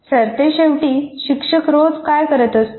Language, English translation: Marathi, After all, what is the teacher doing every day